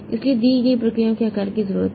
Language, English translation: Hindi, So, sized to a given processes need